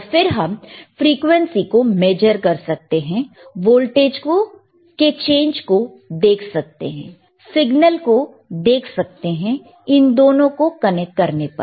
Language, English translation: Hindi, And we can measure the frequency, we can see the change in voltage, we can see the change in signal by connecting both the things together, all right